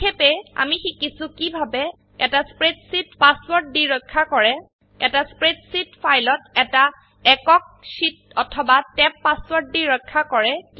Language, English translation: Assamese, In this tutorial we will learn how to: Password protect a spreadsheet Password protect a single sheet or a tab in a spreadsheet